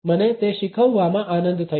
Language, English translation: Gujarati, I have enjoyed teaching it